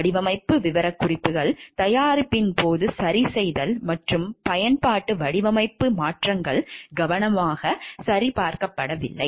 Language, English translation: Tamil, Design specifications, too tight for adjustments during manufacture and use design changes not carefully checked